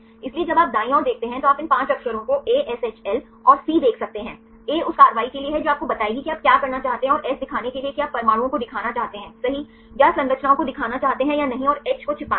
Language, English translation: Hindi, So, when you see the right side then you can see these 5 letters ASHL and C; A is for the action this will tell you what you want to do and S is for to show right whether you want to show the atoms or show the structures or not and H is to hide